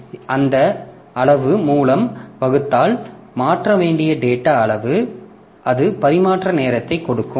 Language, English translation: Tamil, So, that rate if I divide by that quantity, that amount of data that we need to transfer, so that will give me the transfer time